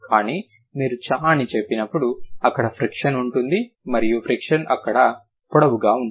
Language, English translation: Telugu, But when you say, ch'er, there is a friction and the friction is longer here